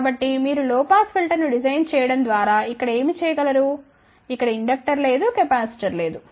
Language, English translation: Telugu, So, what one can actually do that you design a low pass filter something like this over here there is a no inductor, there is a no capacitor